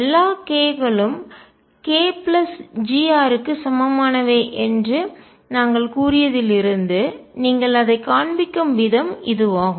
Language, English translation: Tamil, And the way you show it is since we said that all k’s within k plus g r equivalent